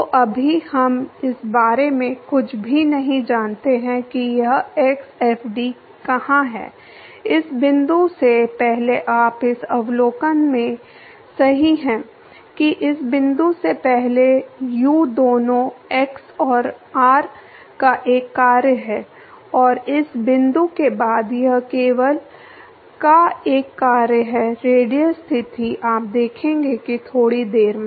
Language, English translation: Hindi, So, right now we do not know anything about where this x fd is there before this point you are correct in the observing that before this point u is a function of both x and r and after this point it is only a function of the radial position you will see that in short while